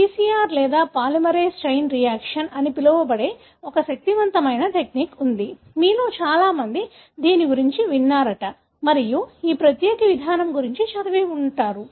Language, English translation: Telugu, There's one powerful technique that we have which is called as PCR or polymerase chain reaction, many of you would have heard about it and, would have read, about this particular approach